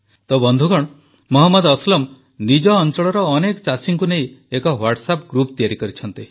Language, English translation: Odia, Friends, Mohammad Aslam Ji has made a Whatsapp group comprising several farmers from his area